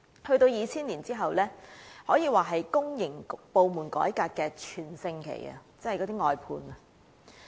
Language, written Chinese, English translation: Cantonese, 到了2000年，可說是公營部門改革的全盛期。, The reforms to the public sector can be described as in their heyday in 2000